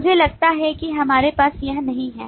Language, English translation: Hindi, I think we do not have this